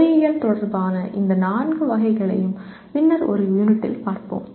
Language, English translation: Tamil, We will look at these four categories specific to engineering in one of the units later